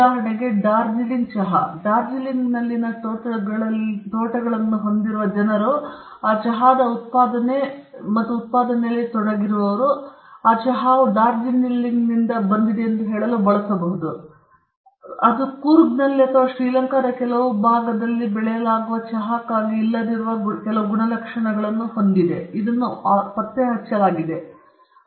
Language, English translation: Kannada, For instance, Darjeeling tea the people who are having plantations in Darjeeling, and who are actually in the manufacturing and production of the tea, they can use that label to say that this tea is from Darjeeling, because the Darjeeling tea, it has been found out that has certain properties which is not there for tea that is grown in Coorg or in some part of Srilanka; it’s not there